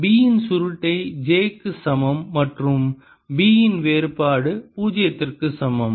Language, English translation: Tamil, curl of h is equal to j free and curl of b, divergence of b, is equal to zero